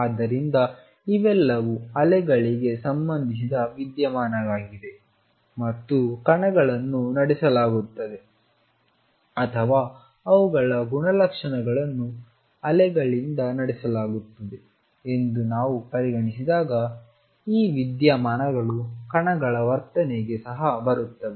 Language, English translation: Kannada, So, these are all phenomena concerned with waves and when we consider particles as being driven by or their properties been driven by waves these phenomena come into particles behavior also